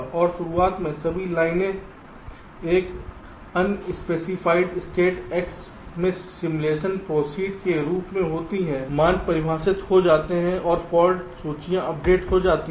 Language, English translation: Hindi, and at the beginning all lines are in an unspecified state, x, as simulation proceeds, the values get defined and the fault lists get updated